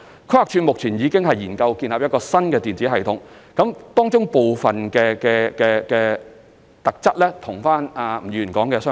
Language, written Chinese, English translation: Cantonese, 規劃署現正研究建立一個新的電子系統，當中部分功能與吳議員所述的相似。, At present PlanD is studying the establishment of a new electronic system with some of the functions similar to those described by Mr NG